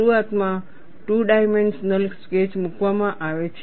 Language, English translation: Gujarati, Initially a two dimensional sketch is put